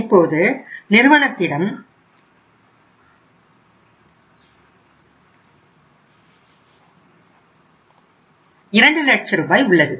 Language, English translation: Tamil, Firm has to make the payment of 2 lakh rupees